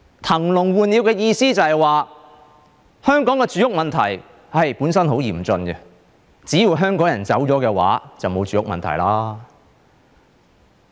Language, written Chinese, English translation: Cantonese, 騰籠換鳥的意思就是，香港的住屋問題本身很嚴峻，只要香港人走了，便沒有住屋問題。, Her interpretation of emptying the cage for new birds is that as long as Hong Kong people leave our acute housing problem will be solved